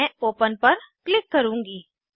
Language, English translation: Hindi, I will click on open